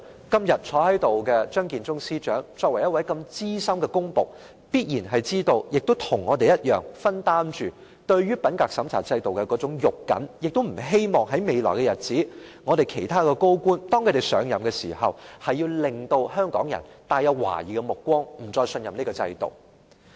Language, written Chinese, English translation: Cantonese, 今天坐在會議廳內的張建宗司長是資深的公僕，必然與我們一樣重視品格審查制度，亦不希望未來政府其他高官上任時，香港人投來懷疑的目光，不再信任這制度。, As Chief Secretary Matthew CHEUNG now sitting in the Chamber is a senior civil servant he certainly attaches a great deal of importance to the integrity checking system like we do . He likewise does not wish to see that in future Hong Kong people will cast a doubtful eye on other senior government officials upon their assumption of office and no longer have any trust in this system